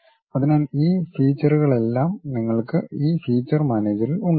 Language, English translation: Malayalam, So, all these operations you will have it at these feature managers